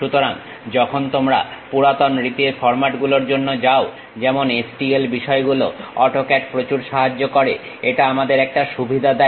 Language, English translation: Bengali, So, when you are going for old style formats like STL things, AutoCAD really enormous help it gives us a advantage